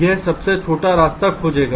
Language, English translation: Hindi, lets say the shortest path is this